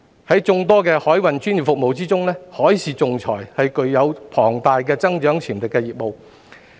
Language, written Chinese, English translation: Cantonese, 在眾多的海運專業服務業中，海事仲裁是具有龐大增長潛力的業務。, Among the many professional maritime services maritime arbitration is the one with significant growth potential